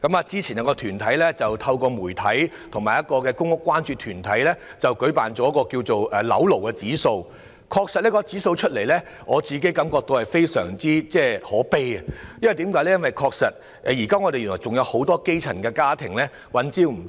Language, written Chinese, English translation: Cantonese, 早前，有團體透過媒體和公屋關注團體進行了一項有關"樓奴指數"的調查，而我對其後公布的調查結果感到很可悲，原因是現時仍有很多基層家庭三餐不繼。, Earlier on an organization conducted a survey on property slave index with the help of the media and public housing concern groups . The findings of the survey subsequently released were very saddening because many grass - roots families are still unable to make ends meet